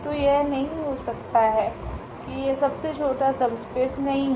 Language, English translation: Hindi, So, it cannot be that this is not the smallest subspace